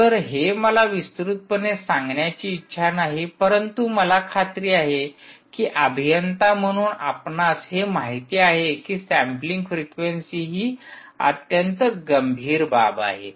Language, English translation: Marathi, so this is something i don't want to elaborate, but i am sure, as engineers, you actually know that sampling frequency is a very, very ah critical thing